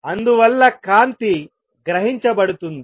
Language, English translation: Telugu, And therefore, light will get absorbed